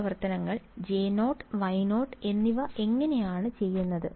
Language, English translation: Malayalam, How do these functions J 0 and Y 0 what do they look like